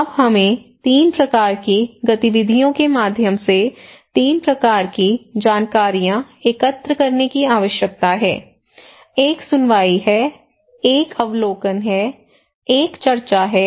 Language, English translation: Hindi, Now, we have also need to collect 3 kinds of informations or informations through 3 kinds of activities; one is hearing, one is observations, one is discussions